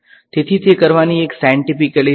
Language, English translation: Gujarati, So, that is one scientific way of doing it